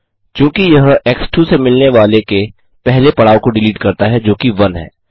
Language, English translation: Hindi, Since it deletes the first occurrence of what is returned by x[2] which is 1